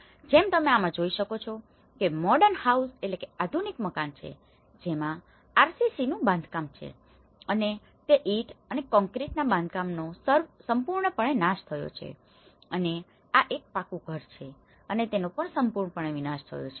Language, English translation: Gujarati, Like in this what you can see is the modern house which has RCC construction and which is a brick and concrete construction has completely damaged and this is a pucca house and which has completely damaged